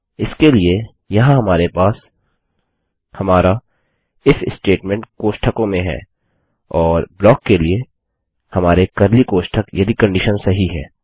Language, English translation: Hindi, For that we have our if statement here in parenthesis and our curly brackets for our block if the condition is TRUE